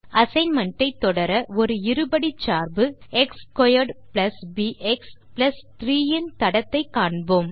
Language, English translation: Tamil, To continue with the assignment, we will be tracing a quadratic function a x^2 + bx + 3